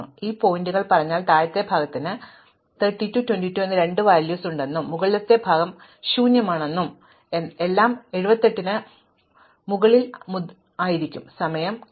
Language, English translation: Malayalam, So, if this point would be saying is that the lower part has two values 32 and 22 and the upper part is empty and everything from 78 onwards is not sorted